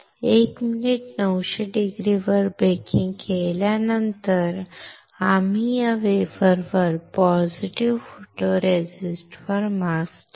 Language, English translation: Marathi, After pre baking for 900C for 1 minute, we will keep the mask on the positive photoresist on this wafer